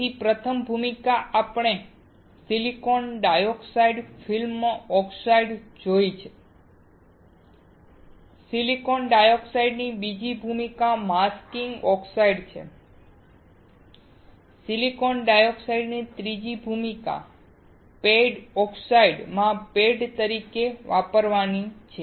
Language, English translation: Gujarati, So, first role we have seen of silicon dioxide field oxides; second role of silicon dioxide is masking oxide; third role of silicon dioxide is to use as a pad in the pad oxides